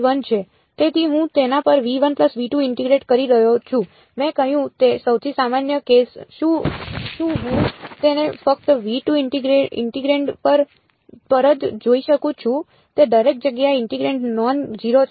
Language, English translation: Gujarati, So, I am integrating over v 1 plus v 2 that is what I said the most general case can I make it just v 2 look at the integrand is the is the integrand non zero everywhere